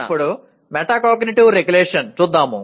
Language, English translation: Telugu, Now coming to metacognitive regulation